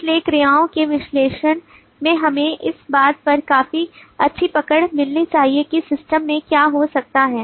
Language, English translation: Hindi, so the analysis of verbs should give us a quite a bit of good hold over what can happen in the system